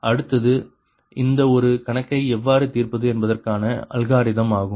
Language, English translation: Tamil, next is that algorithm that how to solve this one, solve this problem